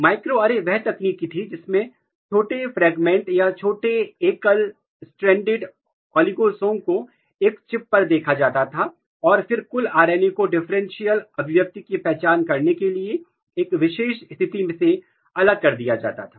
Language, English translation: Hindi, Microarray was the technique, where small fragment or small oligo single stranded oligos were spotted on a chip and then the total RNA maybe was, isolated from a particular condition to identify the differential expression